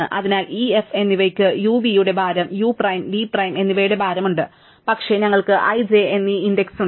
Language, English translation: Malayalam, So, e and f we have the weight of uv and the weight of u prime and v prime, but we also have the index i and j